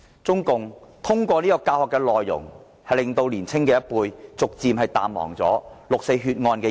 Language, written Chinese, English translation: Cantonese, 中共通過教學，令年青一輩逐漸淡忘六四血案。, Through education CPC has gradually obliterated the younger generations memory of the 4 June massacre